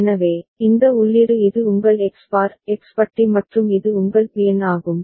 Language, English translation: Tamil, So, this input this is your X bar X bar and this is your Bn